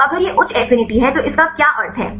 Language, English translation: Hindi, So, if it is high affinity what is meaning of that